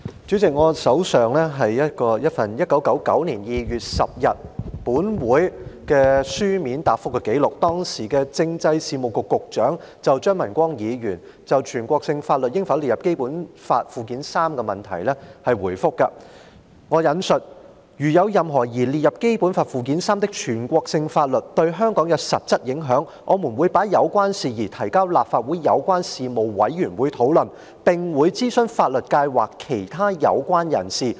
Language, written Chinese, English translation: Cantonese, 主席，我手上有一份1999年2月10日立法會會議一項質詢的書面答覆，是時任政制事務局局長對張文光議員就全國性法律應否列入《基本法》附件三的質詢所作回覆，："如有任何擬列入《基本法》附件三的全國性法律對香港有實質影響，我們會把有關事宜提交立法會有關事務委員會討論，並會諮詢法律界或其他有關人士。, President I have with me a copy of the written reply to a question asked at the meeting of the Legislative Council held on 10 February 1999 . It was the reply of the then Secretary for Constitutional Affairs to Mr CHEUNG Man - kwongs question on whether national laws should be listed in Annex III to the Basic Law and I quote If any national law proposed to be added to Annex III to the Basic Law has any practical effect in the SAR we will refer the issue to the relevant Legislative Council Panel for discussion and we will consult the legal profession and other persons concerned